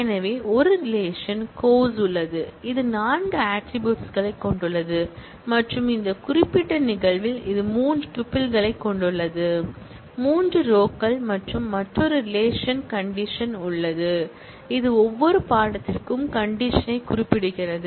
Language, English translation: Tamil, So, there is a relation course, which has four attributes and in this particular instance, it has three tuples; three rows and there is another relation prereq, which specifies the prerequisite for every course